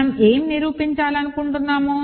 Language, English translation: Telugu, So, we want to prove what